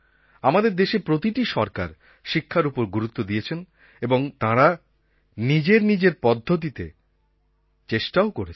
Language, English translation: Bengali, Every Government in our country has laid stress on education and every Government has made efforts for it in its own way